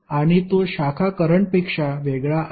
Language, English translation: Marathi, And it is different from the branch current